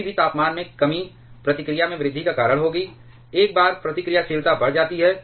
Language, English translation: Hindi, Any temperature reduction will cause on increase in the reactivity, and once the reactivity increases